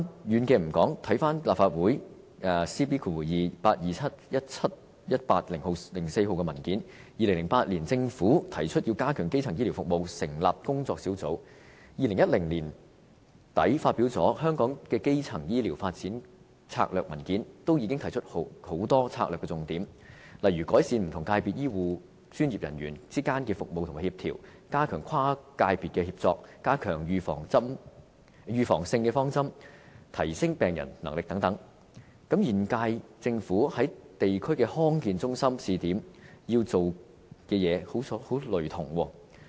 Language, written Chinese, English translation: Cantonese, 遠的不說，回看立法會 CB2827/17-18 號文件 ，2008 年政府提議要加強基層醫療服務，成立工作小組 ；2010 年年底發《香港的基層醫療發展策略文件》均已提出很多策略重點，例如改善不同界別醫護專業人員之間的服務和協調、加強跨界別協作、加強預防性方針、提升病人能力等，這與現屆政府的地區康健中心試點要做的工作相當類同。, By the end of 2010 the Primary Care Development in Hong Kong Strategy Document which was published by the Government had already proposed a number of strategic points . Such as improving coordination of care among health care professionals across different sectors enhancing inter - sectoral collaboration strengthening preventive approach and emphasizing patient empowerment and so on . They are largely identical to the pilot schemes of district health centres launched by the current - term Government